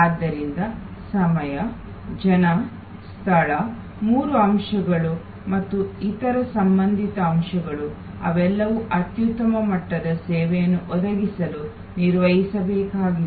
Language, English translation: Kannada, So, time, people, space all three elements and other related elements, they all need to be managed to provide the optimum level of service